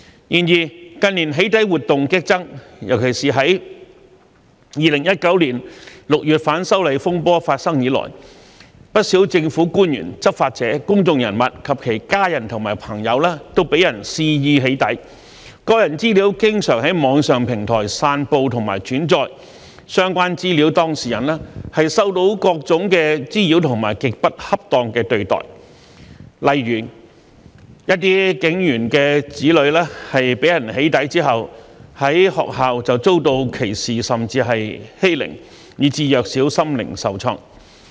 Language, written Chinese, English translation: Cantonese, 然而，近年"起底"活動激增，尤其是自2019年6月反修例風波發生以來，不少政府官員、執法者、公眾人物及其家人和朋友都被人肆意"起底"，個人資料經常在網上平台散布及轉載，相關資料當事人受到各種滋擾和極不恰當的對待，例如一些警員的子女被人"起底"之後，在學校遭到歧視甚至欺凌，以致弱小心靈受創。, Many government officials law enforcement officers public figures and their families and friends have been subjected to doxxing . With their personal data being frequently spread and reposted on online platforms the data subjects concerned have suffered from various harassment and extremely unreasonable treatment . For example the children of some police officers were subjected to prejudice and even got bullied at their schools after being doxxed thus traumatizing their young minds